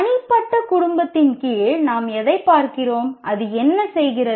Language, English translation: Tamil, And what we look at under the personal family, what does it do